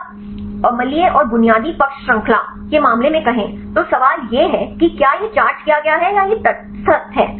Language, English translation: Hindi, But if you say the case of the acidic and basic side chains, the question is whether this is charged or this neutral